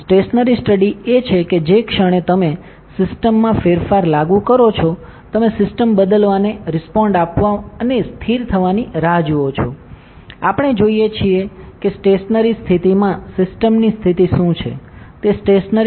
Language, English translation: Gujarati, A stationary study is that, the moment you apply a change in a system you wait for the system to respond to that change and stabilize, then we see what is the state of the system at the stable state, that is the stationary study